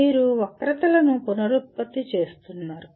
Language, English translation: Telugu, You are just producing the, reproducing the curves